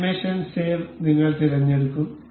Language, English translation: Malayalam, We will select save animation